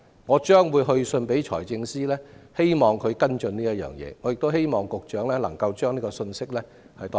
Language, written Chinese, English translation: Cantonese, 我將會去信財政司司長希望他跟進這事，亦希望局長代我轉告這個信息。, I will also write to the Financial Secretary hoping that he will follow up on this matter . I would also like the Secretary to pass this message to him